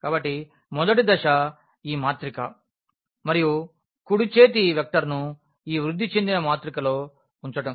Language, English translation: Telugu, So, the first step was putting into this your matrix and the right hand side vector into this augmented matrix